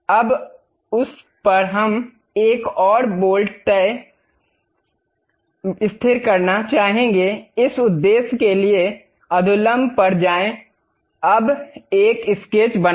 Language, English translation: Hindi, Now, on that we would like to have a one more bolt to be fixed; for that purpose go to normal, now draw a sketch